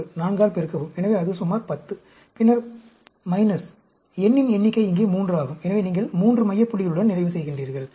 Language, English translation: Tamil, 236; multiply by 4; so, that is about 10; and then, minus, the number of n is 3 here; so, you will end up with 3 center point